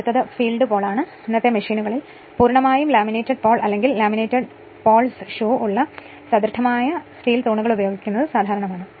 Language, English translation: Malayalam, Now next is field poles, in present day machines it is usual to use either a completely laminated pole, or solid steel poles with laminated polls shoe right